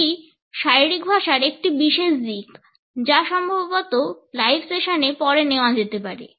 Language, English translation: Bengali, This is one particular aspect of body language, which perhaps can be taken later on in live sessions